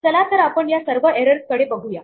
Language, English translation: Marathi, Let us look at all this error